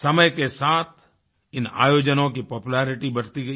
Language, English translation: Hindi, Such events gained more popularity with the passage of time